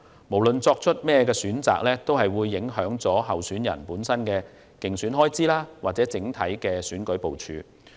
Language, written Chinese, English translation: Cantonese, 無論作出何種選擇，均會影響候選人的競選開支和整體選舉部署。, Regardless of the choice the candidates election expenses and overall election deployment would be affected